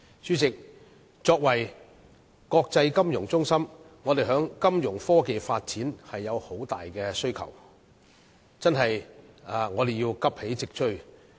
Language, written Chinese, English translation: Cantonese, 主席，作為國際金融中心，我們在金融科技發展上有很大需求，亦須急起直追。, Chairman as an international financial centre there is a keen demand for financial technology Fintech development and the need to catch up with the development